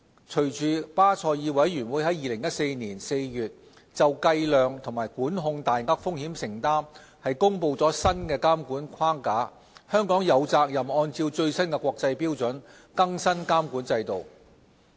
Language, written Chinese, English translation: Cantonese, 隨着巴塞爾委員會在2014年4月就計量及管控大額風險承擔公布新的監管框架，香港有責任按照最新國際標準，更新監管制度。, Following the BCBSs release of a new supervisory framework for measuring and controlling large exposures in April 2014 it is incumbent upon Hong Kong to bring our regulatory regime up to date in accordance with the latest international standards